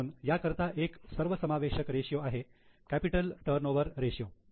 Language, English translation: Marathi, So, a comprehensive ratio for this is capital turnover ratio